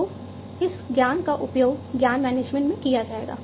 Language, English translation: Hindi, So, this knowledge will be used in knowledge management